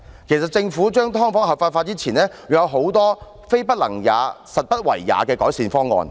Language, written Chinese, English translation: Cantonese, 其實政府將"劏房"合法化前，仍有很多"非不能也，實不為也"的改善方案。, In fact before legalizing subdivided units the Government can actually launch a lot of improvement proposals only that it lacks the will rather than the ability to implement them